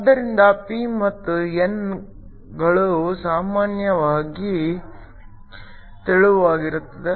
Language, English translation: Kannada, So, p and n are typically thin